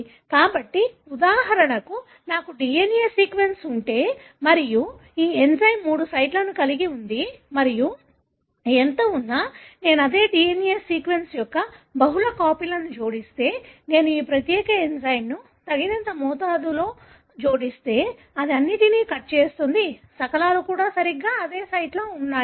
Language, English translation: Telugu, So, if for example I have a DNA sequence and this enzyme has got three sites and no matter how much, if I add multiple copies of the same DNA sequence, if I add enough amount of this particular enzyme, it is going to cut all the fragments exactly at the same site